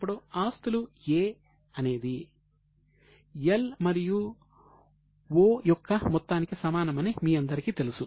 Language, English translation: Telugu, Now you all know that A, that is asset, is equal to L plus O